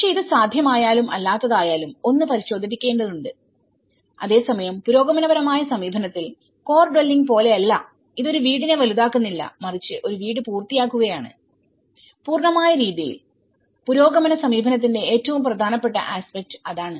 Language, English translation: Malayalam, But, this is something whether it is possible or not that one has to look into it but whereas, in progressive approach it is unlike the core dwelling is not making a house bigger but were making a house finished you know, to the complete manner, that is the most important aspect of the progressive approach